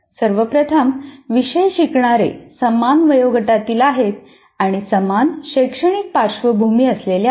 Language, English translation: Marathi, First of all, all learners of a course belong to the same age group and have similar academic background